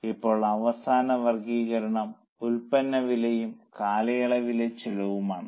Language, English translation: Malayalam, Now, the last classification is product cost versus period cost